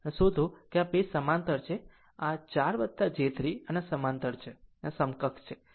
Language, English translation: Gujarati, So, you find out thatthis 2 are in parallel this 4 plus j 3 and are in parallel you find out say equivalent